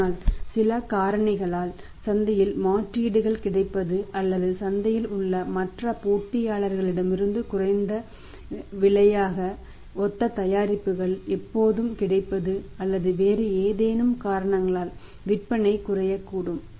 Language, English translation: Tamil, But maybe because of certain factors may be the availability of substitutes in the market or maybe sometime availability of the similar products as the lesser price from the other competitors in the market or maybe because of any other reasons the sales may declined